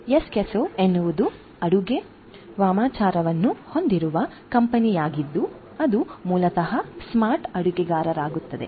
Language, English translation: Kannada, Eskesso is a company that has the cooking sorcery the product which is basically for smart cooking